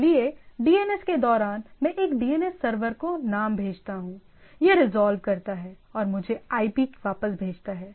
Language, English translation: Hindi, So, during DNS so I send to a DNS server we resolve and send me back this IP, right